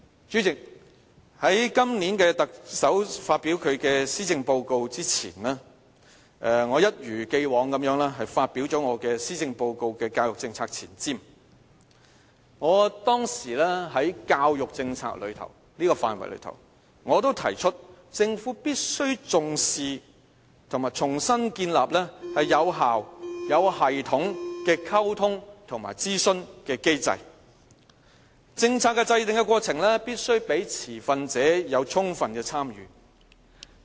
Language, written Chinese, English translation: Cantonese, 主席，在特首發表今年的施政報告前，我一如既往發表了我的施政報告教育政策前瞻，我當時在教育政策範圍中提出政府必須重視和重新建立有效、有系統的溝通和諮詢的機制，政策的制訂過程必須讓持份者有充分的參與。, President as in the past I have published an Article to look ahead at the education polices before the Chief Executive delivered this years Policy Address . I pointed out in the Article that the Government should attach importance to and rebuild an effective and systemic communication and consultation mechanism in respect of education policies . The policy formulation process should allow sufficient engagement of the stakeholders